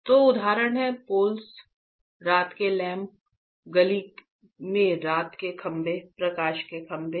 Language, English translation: Hindi, So, there are example the poles, the night lamps, night poles in the street, light poles right